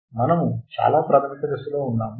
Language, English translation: Telugu, We are at a very basic stage